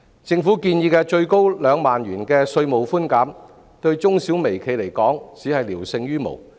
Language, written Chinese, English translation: Cantonese, 政府建議的最高2萬元稅務寬減，對中小微企而言只是聊勝於無。, To micro small and medium enterprises the relief generated by a tax reduction capped at 20,000 as proposed by the Government is negligible